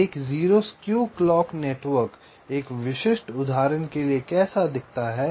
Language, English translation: Hindi, so how does a zero skew clock network look like for a typical example